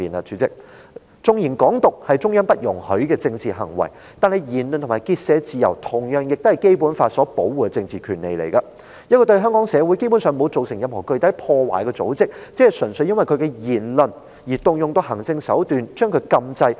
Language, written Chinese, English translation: Cantonese, 主席，縱然"港獨"是中央不容許的政治行為，但言論及結社自由同樣是受《基本法》保護的政治權利，一個對香港社會基本上沒有造成任何具體破壞的組織，只純粹因為其言論而動用行政手段將其禁制。, Chairman even though Hong Kong independence is a political act that the Central Authorities do not allow the freedoms of expression and association are nonetheless political rights protected by the Basic Law . Solely because of the remarks it made administrative means have been used to ban an organization that basically has not caused any specific damage to Hong Kong society